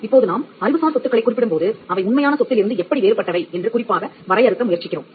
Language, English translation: Tamil, Now when we mention intellectual property, we are specifically trying to define intellectual property as that is distinct from real property